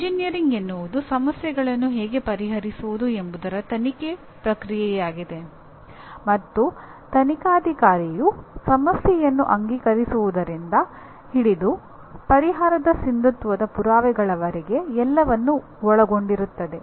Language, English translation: Kannada, Whereas engineering is a process of investigation of how to solve problems and includes everything the investigator does from the acceptance of the problem to the proof of the validity of the solution, okay